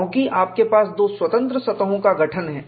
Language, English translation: Hindi, Because, you have formation of, 2 free surfaces